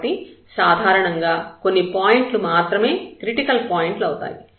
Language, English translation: Telugu, So, usually there are a few candidates as to the critical points